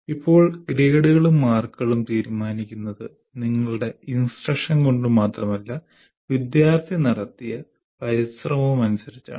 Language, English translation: Malayalam, And now the grades and marks are also are decided by not only your instruction, by the effort put in by the student